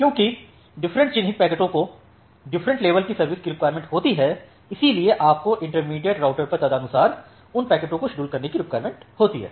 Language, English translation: Hindi, So, because different marked packets require different level of quality of service, you need to schedule those packets accordingly at the intermediate routers